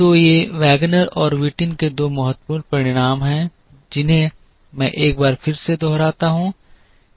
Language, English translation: Hindi, So, these are the two important results of Wagner and Whitin, which I once again repeat